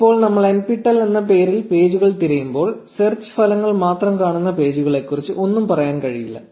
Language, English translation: Malayalam, Now when we search for pages with the name nptel, it is impossible to tell anything about the pages which show up by just looking at the search results